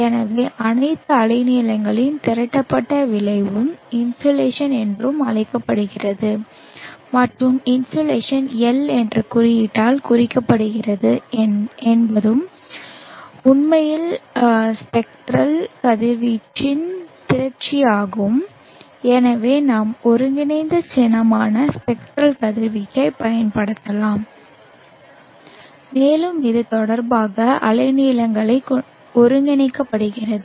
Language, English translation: Tamil, So the accumulated effect of all wavelengths together is called insulation and the insulation is denoted by the symbol L and L is actually an accumulation of the spectral irradiance and therefore we can use the integral symbol the spectral radians and it is integrated with respect to the wavelength parameter